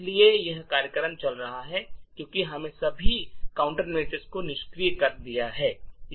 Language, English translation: Hindi, So, this particular program is running because we have disabled all the countermeasures